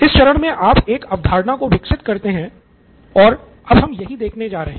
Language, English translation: Hindi, So that is, you develop a concept in this phase, in this stage and that is what we are going to see now